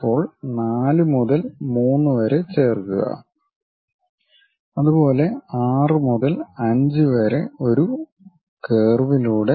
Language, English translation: Malayalam, Now, join 4 to 3 by a smooth curve, similarly 6 to 5 by a smooth curve